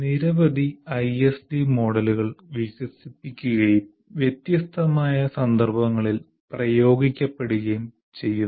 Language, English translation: Malayalam, Here, there are several ISD models developed and practiced in a wide range of context